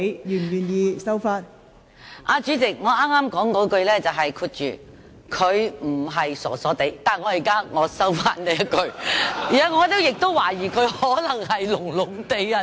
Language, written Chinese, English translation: Cantonese, 代理主席，我剛才是說"她不是傻傻地"，但我現在收回這一句，因為我懷疑她可能也是"聾聾地"。, Deputy President I have just said that she is not a bit silly but I now withdraw this remark because I suspect that she may also be a bit deaf